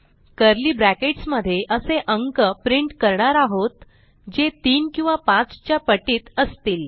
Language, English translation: Marathi, Then inside the curly brackets We print the number only if it is a multiple of 3 or 5